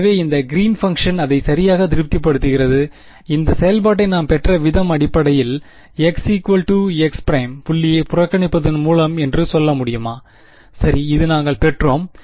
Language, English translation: Tamil, So, this Green’s function it satisfies it right, can we say that the way we derived this function was by looking at basically we ignore the point x is equal to x prime and we derived this right